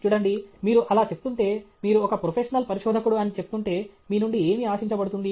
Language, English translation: Telugu, See, if you are saying that… if you are saying that you are professional researcher what is expected of you